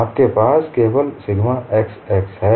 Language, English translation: Hindi, You have only sigma x axis